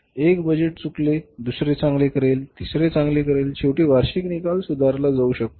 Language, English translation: Marathi, So, one budget goes wrong, second will do well, third will do well, ultimately the annual results can be improved